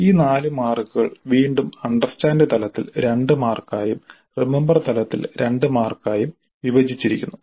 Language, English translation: Malayalam, These 4 marks again are split into 2 marks at understand level and 2 marks at remember level